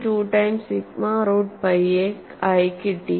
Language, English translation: Malayalam, 2 times sigma root pi a